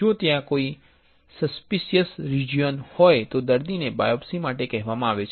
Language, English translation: Gujarati, If there is a suspicion region then the patient is asked for a biopsy